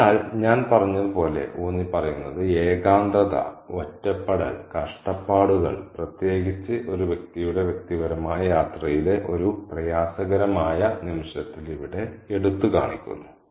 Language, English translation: Malayalam, So, as I said, it kind of emphasizes the loneliness, the isolation, the suffering that one undergoes especially at a difficult moment in one's personal journey, is highlighted here